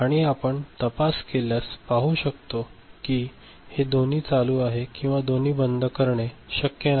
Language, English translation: Marathi, Now, if you investigate you can see that both of them ON and or both of them OFF is not possible ok